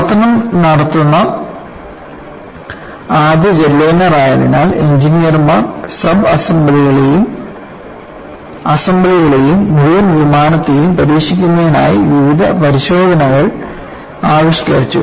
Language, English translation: Malayalam, Now, what you will have to look at is because it was the first jetliner into service, the engineers have deviced various tests to test the subassemblies, as well as assemblies, and also the full aircraft